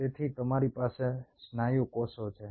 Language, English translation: Gujarati, so you have the muscle